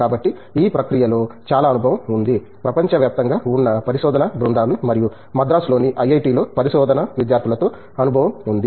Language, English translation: Telugu, So, lot of experience in that process working with you know, research groups from across the world and also of course, with the research students here at IIT, Madras